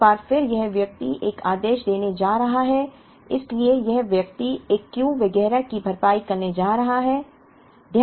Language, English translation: Hindi, Once again this person is going to make an order so this person is going to replenish a Q and so on